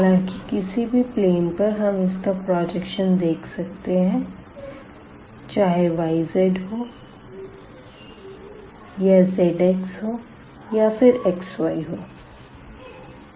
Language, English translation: Hindi, So, though we can we can project this to any one of these planes we either y z or z x or x y